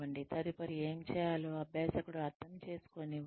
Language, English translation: Telugu, Let the learner understand, what needs to be done next